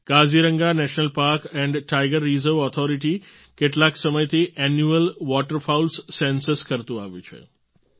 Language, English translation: Gujarati, The Kaziranga National Park & Tiger Reserve Authority has been carrying out its Annual Waterfowls Census for some time